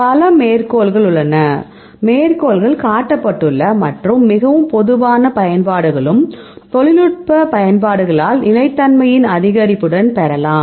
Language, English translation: Tamil, Now, there are many many citations, then also cited and very general applications and why are we can receive for the by technological applications, with increase in stability